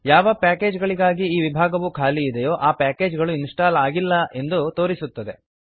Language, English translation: Kannada, The packages for which this column is blank indicates that these packages are not installed